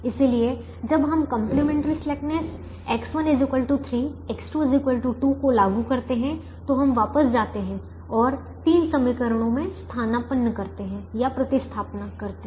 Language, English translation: Hindi, so when we apply the complimentary slackness, x one equal to three, x two equals to two, we go back and substitute in the three equations now